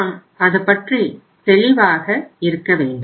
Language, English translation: Tamil, So we should be clear about